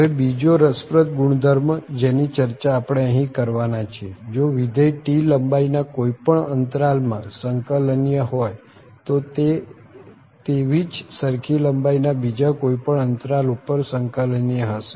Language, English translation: Gujarati, So, another interesting property which we will discuss here, so if a function is integrable on any interval of length T, then it is integrable on any other interval of the same length